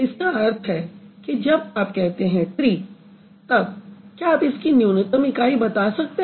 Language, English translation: Hindi, So, when you say tree, can you find out what is the minimal unit of tree